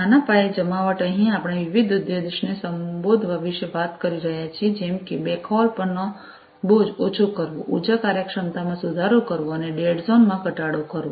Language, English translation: Gujarati, Small scale deployment here we are talking about addressing different objectives such as alleviating burden on the backhaul, improving energy efficiency and decreasing the dead zones